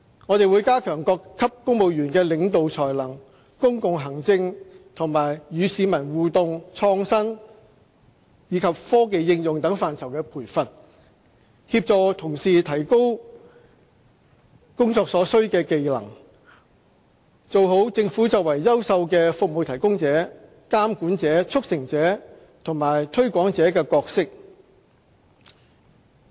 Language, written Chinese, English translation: Cantonese, 我們會加強各級公務員的領導才能、公共行政、與市民互動溝通、創新及科技應用等範疇的培訓，協助同事提高工作所需的技能，做好政府作為優秀的"服務提供者"、"監管者"、"促成者"和"推廣者"的角色。, We will further enhance training for all grades of civil servants in the areas of leadership development public administration interaction and communication with the public innovation and the use of technology so as to help our colleagues to enhance the necessary skills for their jobs in order to deliver the roles as a service provider regulator facilitator and promoter